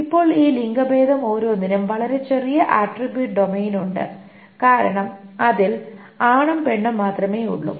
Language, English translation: Malayalam, Now, each of this gender has a very small attribute domain because it contains only male and female